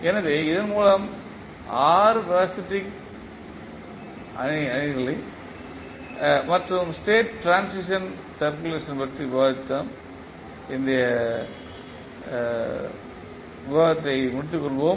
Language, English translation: Tamil, So, with this we can close our today’s discussion in which we discussed about the state transition matrix as well as the state transition equation